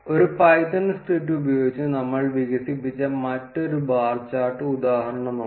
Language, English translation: Malayalam, Let us look at another bar chart example that we developed using a python script